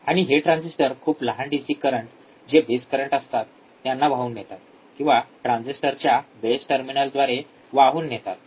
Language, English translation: Marathi, And this transistors conduct, the current a small DC current which are the base currents or through the base terminals of the transistors